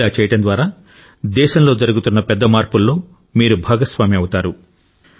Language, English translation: Telugu, This way, you will become stakeholders in major reforms underway in the country